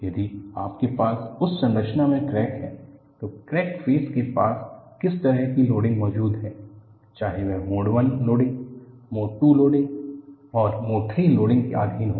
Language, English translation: Hindi, If you have a crack in that structure, what kind of loading exists near the crack surfaces, whether it is subjected to Mode I loading, Mode II loading and Mode III loading